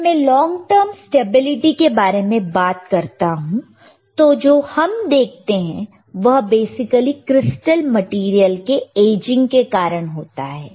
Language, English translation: Hindi, When I talk about long term stability, then what we see is, basically due to aging of crystal material